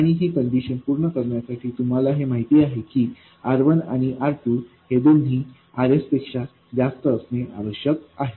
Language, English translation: Marathi, And for this condition to be satisfied, you know that both R1 and R2 have to be much more than RS